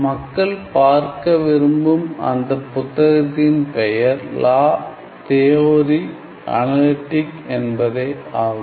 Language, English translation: Tamil, And the name of the book if people want to look it up online the name of the book is La Theorie Analytique